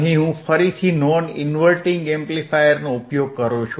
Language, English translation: Gujarati, Here I have am using again a non inverting amplifier, right again